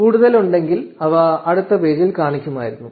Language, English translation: Malayalam, If they were more they would have shown up in this next page